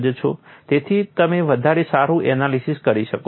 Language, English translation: Gujarati, So, you can do a better analysis